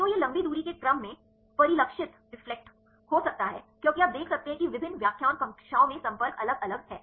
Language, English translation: Hindi, So, this can be reflected in the long range order because you can see the contacts are different in different lecture classes